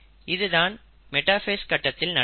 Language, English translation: Tamil, So that happens in metaphase